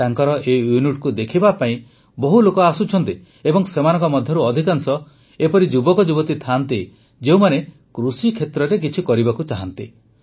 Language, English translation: Odia, A large number of people are reaching to see this unit, and most of them are young people who want to do something in the agriculture sector